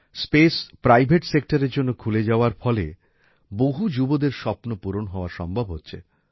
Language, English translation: Bengali, After space was opened to the private sector, these dreams of the youth are also coming true